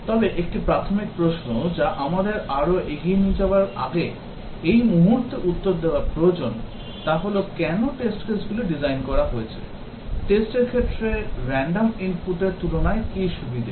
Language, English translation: Bengali, But one basic question that we need to answer at this point before proceeding further is that why designed test cases, what is the advantage compared to random input of test cases